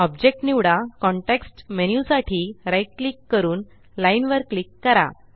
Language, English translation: Marathi, Select the object, right click to view the context menu and click Line